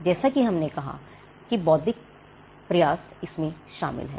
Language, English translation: Hindi, As we said there is intellectual effort involved in it